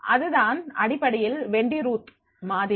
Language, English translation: Tamil, This is Wendy Ruth model basically